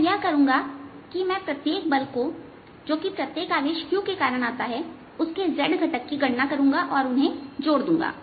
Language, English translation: Hindi, what ill do is i'll calculate the z component of each force due to each charge, capital q, and add them up